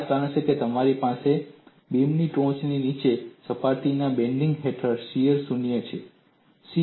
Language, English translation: Gujarati, That is the reason why you have on the top and bottom surfaces of the beam under bending, shear is 0